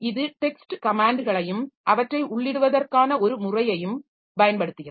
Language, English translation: Tamil, So, it uses text commands and a method for entering them